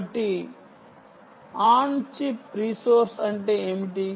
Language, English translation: Telugu, so what do you mean by an on chip resource